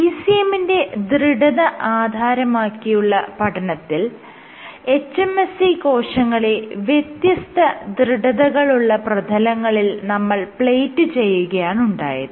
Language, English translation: Malayalam, So, in the case of ECM stiffness, it shown that if you plate hMSC on is you know substrates of varying stiffness